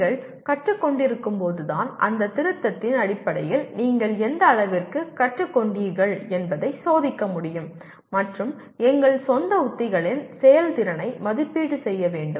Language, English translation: Tamil, That is while you are learning you must be able to test to what extent you have learnt based on that revise and evaluating the effectiveness of our own strategies